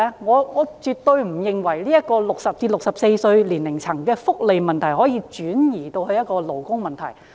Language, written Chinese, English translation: Cantonese, 我絕對不認為60至64歲年齡層的福利問題可以轉移成勞工問題。, I definitely do not think the welfare issue of people aged 60 to 64 can be turned into a labour issue